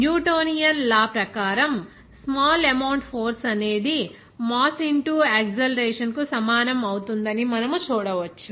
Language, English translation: Telugu, As per Newtonian law, we can see that this small amount of force that will be equal to mass into acceleration